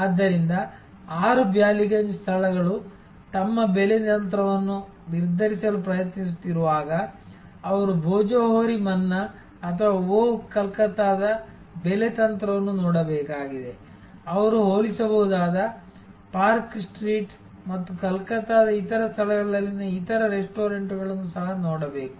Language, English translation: Kannada, So, when 6 Ballygunge places trying to determine their pricing strategy, they have to look at the pricing strategy of Bhojohori Manna or of Oh Calcutta, they have to also look at the comparable, other restaurants at park street and other places in Calcutta and their pricing policies